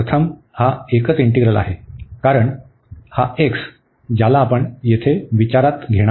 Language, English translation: Marathi, And now again this is a single integral, so with respect to x, so we can integrate again this